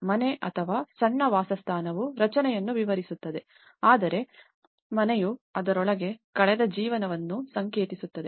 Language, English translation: Kannada, The house or a small dwelling describes the structure whereas, the home is symbolic of the life spent within it